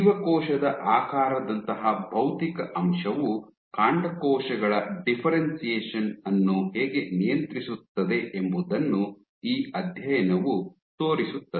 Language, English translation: Kannada, This study shows how you can have a physical factor like cell shape regulate the differentiation fate of stem cells